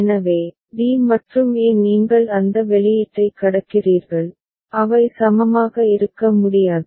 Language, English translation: Tamil, So, d and a you are crossing it that output, they cannot be equivalent